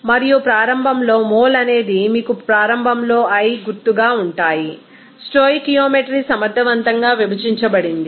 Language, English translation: Telugu, And initially moles will be in i initial you can say that and divided by stoichiometry efficient